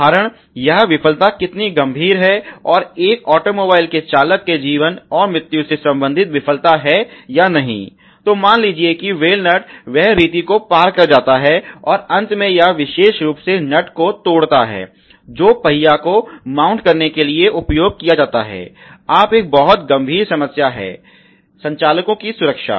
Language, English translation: Hindi, Then the question is the severity that how sever or how serious the failure is for example, if it is the failure related to the life and death of the driver of a automobile for example, let’s say the wheal nut you know go cross the way and finally its breaks the particularly nut which is used the mounting the wheel this, now a very, very serious problem concern the safety of the operators